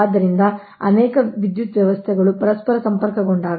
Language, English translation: Kannada, right, because many power system they are interconnected together